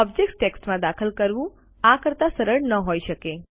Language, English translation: Gujarati, Entering text in objects cannot get simpler than this